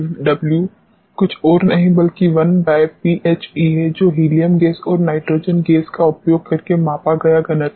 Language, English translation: Hindi, Now, V air upon W is nothing, but 1 upon rho helium that is the density measured using helium gas and density measured using nitrogen gas